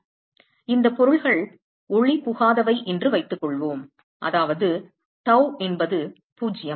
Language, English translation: Tamil, So, supposing we assume that these objects are opaque, which means that tau is 0, which means that tau is 0